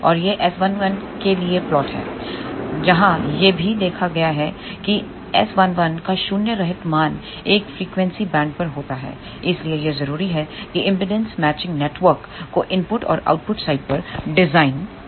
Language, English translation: Hindi, And this is the plot for the S 11, where also noticed that S 11has a non zero value over the frequency band, hence it is important to design impedance matching network in the input side as well as at the output side